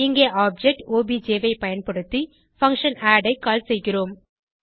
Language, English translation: Tamil, Here we call the function add using the object obj